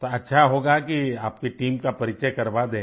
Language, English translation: Hindi, Then it would be better if you introduce your team